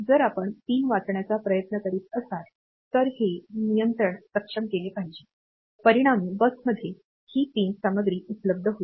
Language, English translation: Marathi, So, if you are trying to read the point; then this control has to be enabled as a result this pin content will be available on to the bus